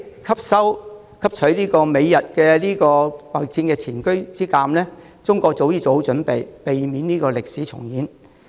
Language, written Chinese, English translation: Cantonese, 汲取美日貿易戰的前車之鑒，中國早已做好準備，避免歷史重演。, With the lesson learnt from the preceding trade war between Japan and the United States China has long since made preparations to prevent a repeat of the history